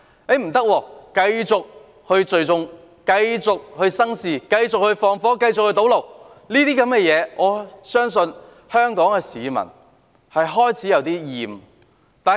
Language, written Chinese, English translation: Cantonese, 他們卻說不可以，繼續聚眾生事、縱火、堵路等，我相信香港市民對此已開始感到厭倦。, But they refuse and keep gathering to stir up trouble setting fire blocking roads etc . I believe the people of Hong Kong have started to feel sick and tired . After their mutual destruction now the economy is already in dire straits